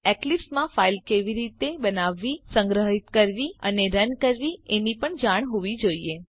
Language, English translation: Gujarati, And you must know how to create, save and run a file in Eclipse